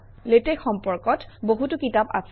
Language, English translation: Assamese, There are many books on Latex, we recommend two